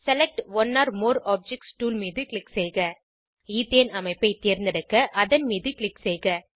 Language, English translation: Tamil, Click on Select one or more objects tool Click on Ethane structure to select it